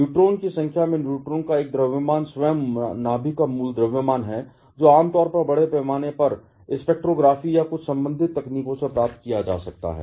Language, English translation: Hindi, 008665 which is a mass of neutrons into the number of neutrons minus the original mass of the nucleus itself, which can generally be obtained from mass spectrography or some associated techniques